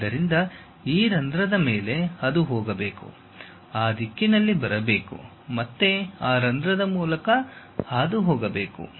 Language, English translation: Kannada, So, over this hole it has to go, come in that direction, again pass through that hole and goes